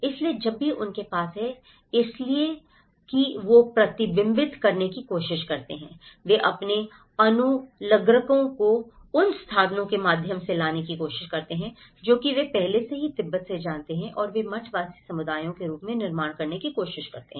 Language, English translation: Hindi, So, whenever they have been there so they try to reflect, they try to bring their attachments through the places what they already know from Tibet and they try to build as the monastic communities